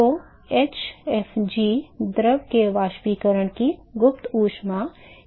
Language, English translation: Hindi, So, hfg is the latent heat of vaporization of the fluid